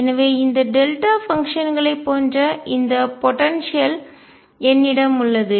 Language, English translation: Tamil, So, I have this potential which is like this delta functions